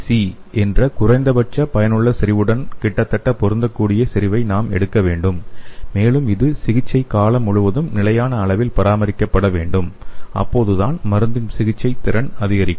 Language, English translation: Tamil, So for an ideal dosage, we have to take the concentration which is nearly matching with the minimum effective concentration that is MEC and it should be maintained at a constant level throughout the treatment period, so then only the therapeutic efficiency of the drug can be increased